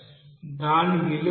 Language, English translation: Telugu, What does it mean